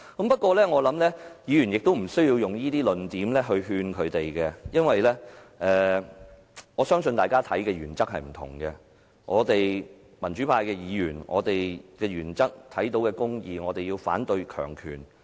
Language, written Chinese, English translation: Cantonese, 不過，我相信議員無需用這些論點來勸諭他們，因為我相信大家的原則不同，我們民主派議員的原則是要看到公義，反對強權。, However in my opinion Members do not need to persuade them with these arguments as different parties have different principles . For we the democrats we stick with the cause of justice against the power